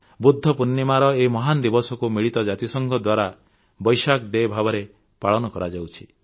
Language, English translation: Odia, I feel fortunate that the occasion of the great festival of Budha Purnima is celebrated as Vesak day by the United Nations